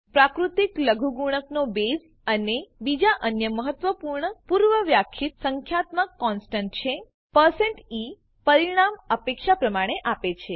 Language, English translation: Gujarati, The base of the natural logarithm is another important predefined numerical constant: percent e gives the result as expected